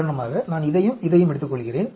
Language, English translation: Tamil, For example, if I take these and this